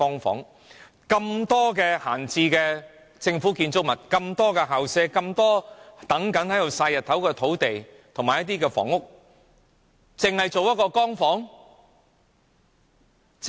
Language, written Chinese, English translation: Cantonese, 這麼多閒置的政府建築物、這麼多校舍、這麼多在"曬日光"的土地及空置房屋，竟然只營運一個"光屋"？, Despite the numerous idle government buildings vacant school premises sunbathing sites and vacant buildings how come only one Light Home project is operated?